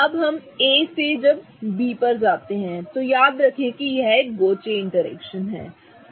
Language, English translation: Hindi, Now from A when we go to B, remember it is a staggered one and there is a gauce interaction